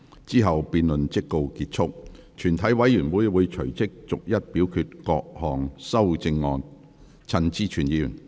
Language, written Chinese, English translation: Cantonese, 之後辯論即告結束。全體委員會會隨即逐一表決各項修正案。, Then the debate will come to a close and the committee will forthwith vote on the amendments one by one